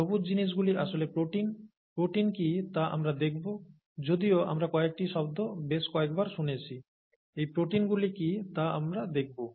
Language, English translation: Bengali, The green things are actually proteins, we will see what proteins are, although we have heard some terms so many times, we will see what those proteins are